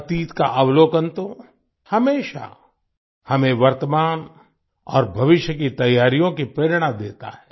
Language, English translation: Hindi, Observation of the past always gives us inspiration for preparations for the present and the future